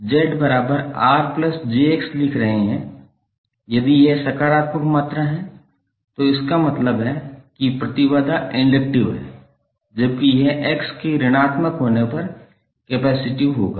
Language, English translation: Hindi, So here if you are writing Z is equal to R plus j X if this is the positive quantity, it means that the impedance is inductive while it would be capacitive when X is negative